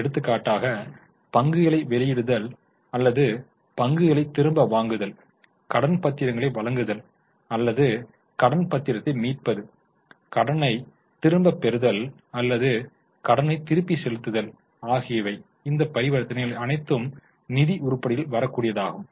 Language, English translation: Tamil, For example, issue of shares or buyback of shares, issue of debentures or redemption of debenture, taking loan, returning or repaying loan, all these transactions would be in the financing item